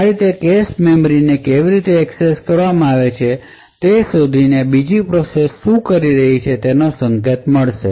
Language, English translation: Gujarati, In this particular way by tracing the how the cache memories have been accessed would get an indication of what the other process is doing